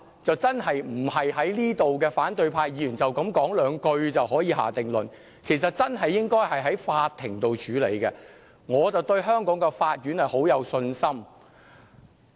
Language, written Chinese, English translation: Cantonese, 這真的不是反對派議員在此表達一兩句話就可以下定論的，其實真的應該由法庭處理，而我對香港的法院很有信心。, A conclusion can definitely not be drawn from a few remarks from Members of the opposition camp . In fact this should really be dealt with by the court and I have faith in the courts of Hong Kong